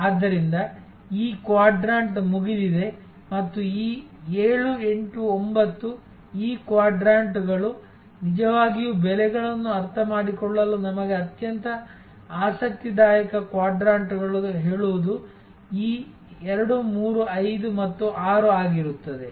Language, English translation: Kannada, So, this quadrant is out and a these 7, 8, 9 these quadrants of out, really speaking the most interesting quadrants for us to understand pricing will be this 2, 3, 5 and 6